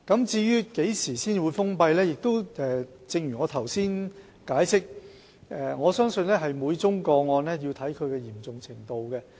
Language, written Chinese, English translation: Cantonese, 至於何時才會封閉有關處所，正如我剛才解釋，我相信每宗個案須視乎其嚴重程度。, As regards when the premises in question will be closed as I explained just now I believe it depends on the gravity of each case